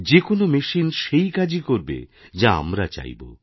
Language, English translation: Bengali, Any machine will work the way we want it to